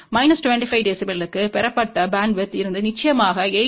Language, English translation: Tamil, And for minus 25 dB the bandwidth obtained is from 8